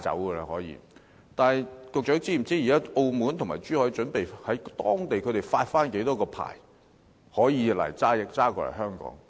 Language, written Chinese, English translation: Cantonese, 不過，局長是否知悉，現時澳門和珠海準備在當地發出多少個可以駕駛至香港的牌照？, However does the Secretary know how many licences the authorities of Macao and Zhuhai have planned to issue which allow vehicles to cross the boundaries to Hong Kong?